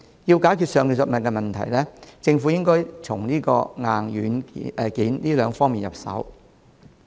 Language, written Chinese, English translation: Cantonese, 要解決上述問題，政府需從硬件及軟件兩方面入手。, In order to resolve the above problems the Government needs to work on the hardware as well as the software